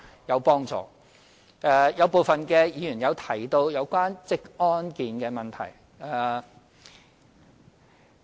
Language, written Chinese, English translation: Cantonese, 有部分議員提及職安健的問題。, Some Members mentioned occupational safety and health